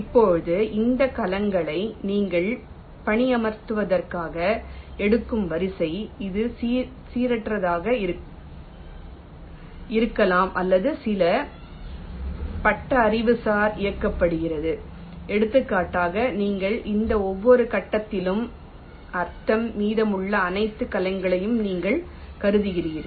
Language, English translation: Tamil, now, the order in which you take these cells for placement: it can be either random or driven by some heuristics, like, for example, ah mean at every stage you have been, you consider all the remaining cells